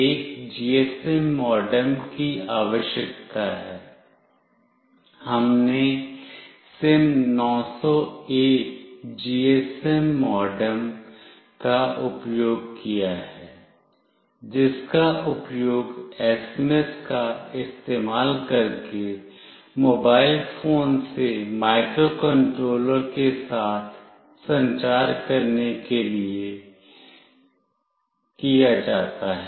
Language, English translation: Hindi, A GSM modem is required; we have used SIM900A GSM modem, which is used to communicate with the microcontroller from a mobile phone using SMS